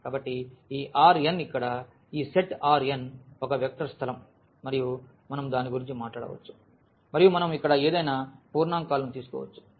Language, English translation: Telugu, So, this R n this set here R n is a vector space and we can talk about and we can take any integers here